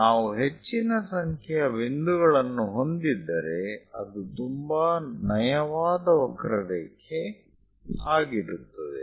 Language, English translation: Kannada, If we have more number of points, it will be very smooth curve